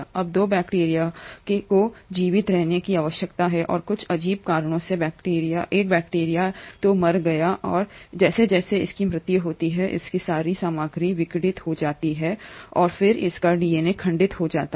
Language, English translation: Hindi, Now bacteria 2 is needs to survive and for some strange reason, the bacteria 1 has either died and as its dies all its material is disintegrating and then its DNA gets fragmented